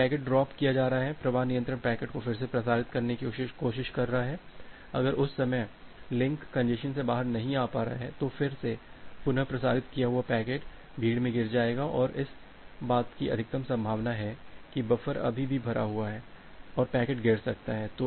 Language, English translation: Hindi, Because packets are getting dropped, the flow control is trying to retransmit the packet, if at that time the link is not able to come out of the congestion, again that retransmitted packet will fall in the congestion and there is a high probability that the buffer is still full and the packet may get dropped